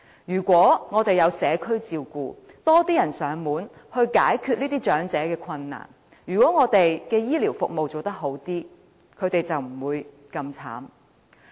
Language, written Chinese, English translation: Cantonese, 如果我們有推行社區照顧，有多一些人幫忙上門解決這些長者的困難，或我們的醫療服務做好一些，他們便不會這麼淒慘。, They will not be that miserable if we have implemented community care services and put in place more manpower to provide on - site service with a view to solving the problems of the elderly people or if we can deliver better health care service